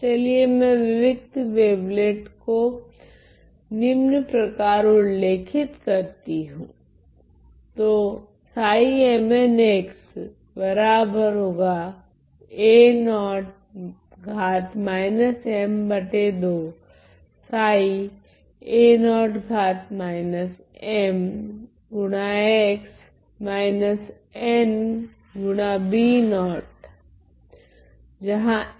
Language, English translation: Hindi, So, let me define discrete wavelet as follows